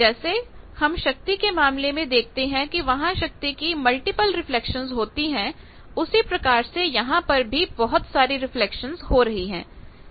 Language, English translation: Hindi, As we are seen here in case of power there are multiple reflections of power is similarly, here also you see lot of reflections taking place